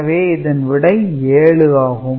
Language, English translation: Tamil, So, basically 7 is 0 7 right